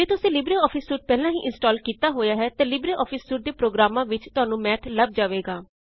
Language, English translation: Punjabi, If you have already installed Libreoffice Suite, then you will find Math in the LibreOffice Suite of programs